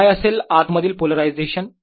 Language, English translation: Marathi, what about the polarization inside